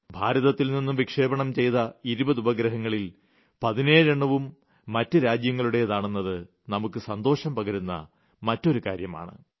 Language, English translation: Malayalam, And this is also a matter of joy that of the twenty satellites which were launched in India, 17 satellites were from other countries